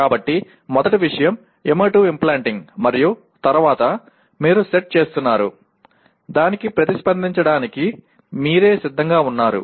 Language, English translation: Telugu, So first thing is emotive implanting and then you are setting, readying yourself for responding to that